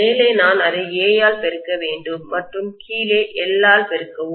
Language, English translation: Tamil, On the top I have to multiply it by A and at the bottom I have to multiply it by L